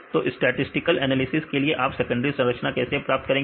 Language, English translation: Hindi, So, for statistical analysis, how you get the secondary structure based on statistical analysis